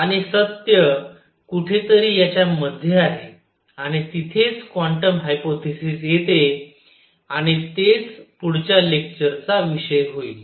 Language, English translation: Marathi, And truth is somewhere in between and that is where quantum hypothesis comes in and that is going to be the subject of the next lecture